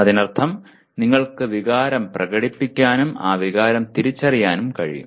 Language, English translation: Malayalam, That means you can express emotion and then recognize that emotion